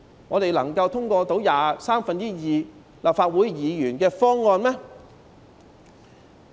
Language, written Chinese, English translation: Cantonese, 我們能夠通過需要有三分之二立法會議員支持的方案嗎？, Is it possible for us to pass a proposal requiring the support of two thirds of Members of the Legislative Council?